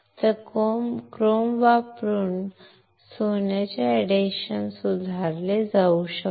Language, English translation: Marathi, So, the adhesion of the gold can be improved by using chrome